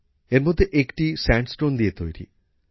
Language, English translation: Bengali, One of these is made of Sandstone